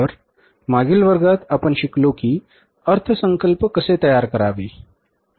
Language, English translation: Marathi, So in the previous class we learned about that how to start preparing the budgets